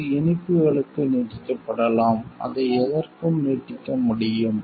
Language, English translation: Tamil, It can be extended to sweets; it can be extended to anything